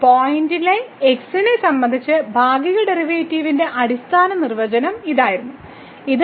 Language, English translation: Malayalam, It was the fundamental definition of the partial derivative with respect to at the point